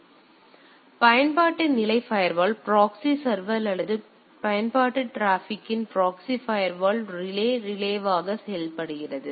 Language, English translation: Tamil, So, application level firewall also proxy server or proxy firewall relay of application traffic, acts as a relay